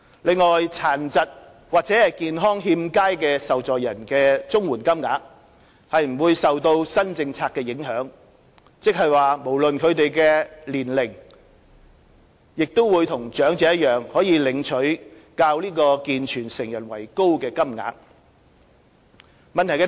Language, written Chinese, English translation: Cantonese, 另外，殘疾或健康欠佳的受助人的綜援金額不受新政策影響，即不論他們的年齡亦與長者一樣可領取較健全成人為高的金額。, Meanwhile the CSSA payments of disabled persons or persons in ill health will not be affected by the new policy ie . they will regardless of their age and same as elderly recipients receive CSSA payments which are higher than those applicable to able - bodied adults